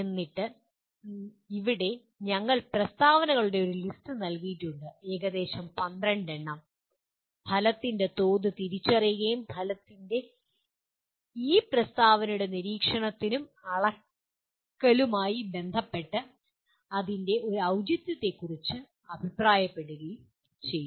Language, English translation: Malayalam, And then here we have given a list of statements, several of them about 12 of them, identify the level of outcome and comment on its appropriateness with respect to observability and measurability of this statement of the outcome